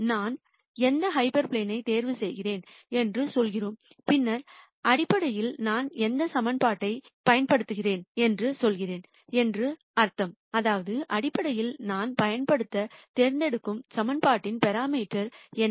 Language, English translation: Tamil, Then we say which hyperplane do I choose, then basically it means I am saying which equation do I use, which basically means what are the parameters in the equation that I choose to use